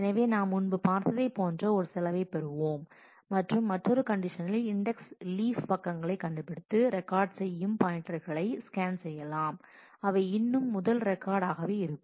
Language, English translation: Tamil, So, we will get a cost which is similar to what we saw earlier and in the other condition we can just scan the leaf pages of index finding the pointers to record still the first entry so, we are doing more a sequential one